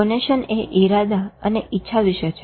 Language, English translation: Gujarati, Conition is about intentionality and will